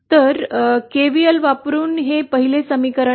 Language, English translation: Marathi, So this is the 1st equation using KVL